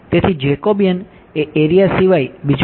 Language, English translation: Gujarati, So, the Jacobian is nothing but the area of